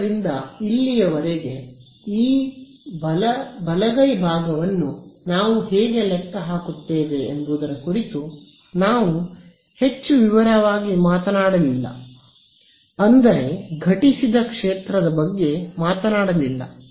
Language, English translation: Kannada, So, so far we have not really spoken too much in detail about this how do we calculate this right hand side E I the incident field right